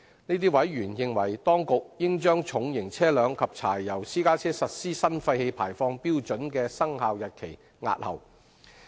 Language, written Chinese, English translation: Cantonese, 這些委員認為當局應將重型車輛及柴油私家車實施新廢氣排放標準的生效日期押後。, In these members view the Administration should defer the commencement dates of the new emission standards for heavy duty vehicles and diesel private cars